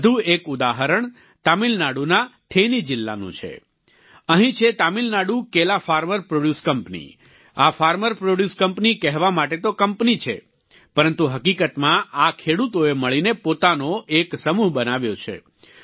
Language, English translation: Gujarati, Another example is from then district of Tamil Nadu, here the Tamil Nadu Banana farmer produce company; This Farmer Produce Company is a company just in name; in reality, these farmers together have formed a collective